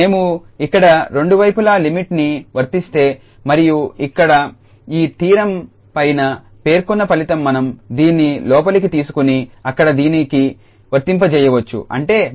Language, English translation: Telugu, So, we have pass the limit both the sides here, and now this theorem the above result says that we can take this inside and apply to this s there